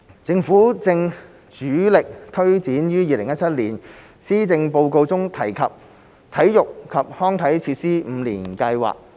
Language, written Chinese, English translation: Cantonese, 政府正主力推展於2017年施政報告中提出的體育及康樂設施五年計劃。, The Government is pushing ahead with the Five - Year Plan for Sports and Recreation Facilities announced in the Policy Address in 2017